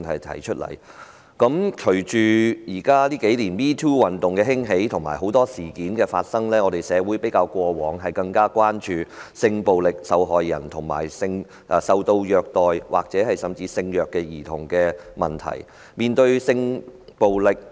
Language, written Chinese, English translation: Cantonese, 隨着近年 "#MeToo" 運動興起及很多事件發生，社會較以往更關注性暴力受害人及受虐兒童，甚至是性虐兒童的問題。, With the launching of MeToo Campaign in recent years and the occurrence of many incidents our society has shown more concerns about sexual violence victims and abused children or even the issue concerning sexually abused children